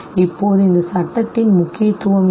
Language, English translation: Tamil, Now what is the importance of this very law